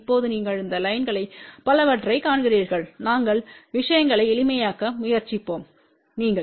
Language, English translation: Tamil, Now you see multiple these lines over here we will try to make thing simple for you